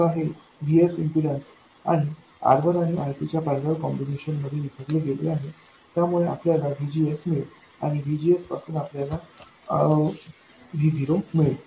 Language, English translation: Marathi, Now, VS gets divided between these impedances and R1 parallel R2 to give you VGS and VGS gives you V0